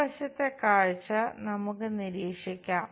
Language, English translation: Malayalam, Let us observe one of the side view